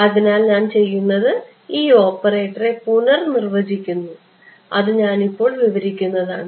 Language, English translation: Malayalam, So, what I do is I redefine this operator itself ok, in a way that I will describe right now